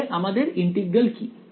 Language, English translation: Bengali, So, what is our integral